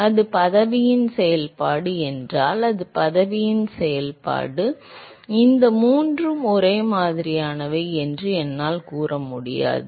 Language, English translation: Tamil, If that is a function of position, if it is a function of position, then I cannot say that these three are similar